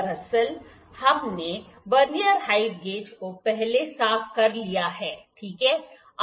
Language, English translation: Hindi, Actually we have cleaned the Vernier height gauge before, ok